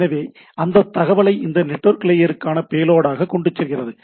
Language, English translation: Tamil, So, it carries that data as a payload for this network layer right